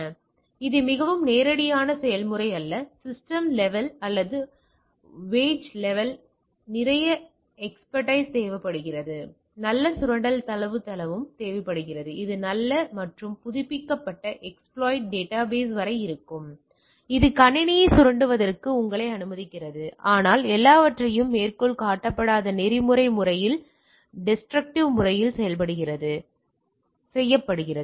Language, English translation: Tamil, So, it is a not that very straightforward process the requires lot of expertise on the system level or wage level it also need good exploit database which and which are up to good and up updated exploit database which allows you to this exploit the system, but everything done in a quote unquote ethical manner that is non destructive manner